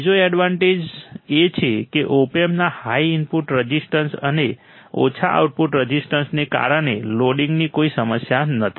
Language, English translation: Gujarati, Second advantage is there is no loading problem because of high input resistance and lower output resistance of Op Amp